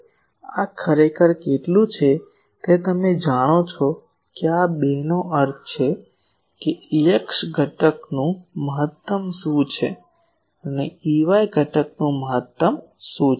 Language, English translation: Gujarati, Now, this how much is this to actually you know that these 2 means what is the maximum of the E x component and what is the maximum of the E y component